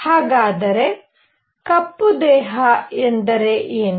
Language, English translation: Kannada, So, question is; what is a black body